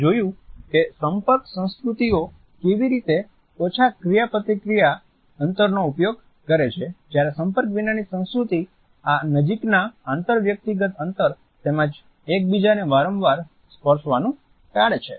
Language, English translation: Gujarati, We have seen how contact cultures use a small interaction distances whereas, non contact cultures avoid these close inter personal distances as well as the frequent touching of each other